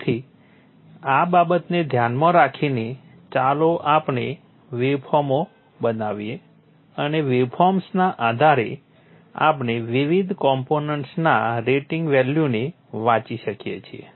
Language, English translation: Gujarati, So keeping these things in mind, let us construct the waveforms and based on the waveforms we can just read off the rating values of the various components